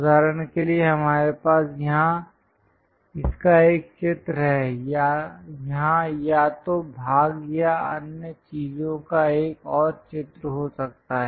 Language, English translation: Hindi, For example, we have a drawing of this here, there might be another drawing of the same either part or other things here